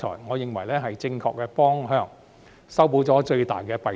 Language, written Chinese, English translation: Cantonese, 我認為這是正確的方向，亦可解決最大的弊端。, I think this is the right direction and can address the major shortcoming